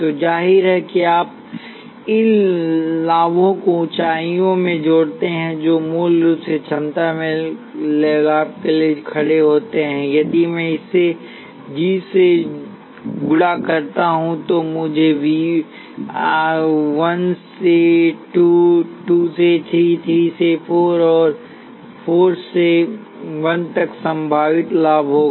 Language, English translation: Hindi, So obviously, if you sum these gain in heights which are basically stands in for gain in potentials if I multiply this by g, I will have potential gain from 1 to 2, 2 to 3, 3 to 4, and 4 to 1